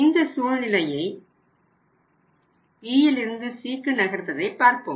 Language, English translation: Tamil, Let see now situation in the from the B to C when you move from B to C